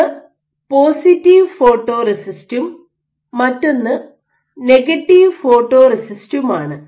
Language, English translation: Malayalam, One is the positive photoresist and other is the negative photoresist